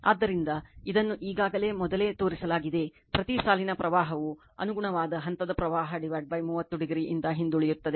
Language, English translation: Kannada, So, it is already shown earlier right, each line current lags the corresponding phase current by 30 degree